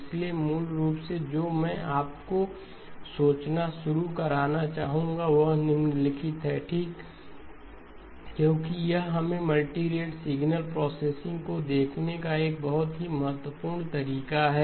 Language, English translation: Hindi, So basically what I would like you to start thinking about is the following okay, because it leads us to a very important way of looking at multirate signal processing